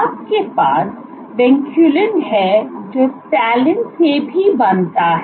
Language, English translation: Hindi, You have vinculin which also binds to Talin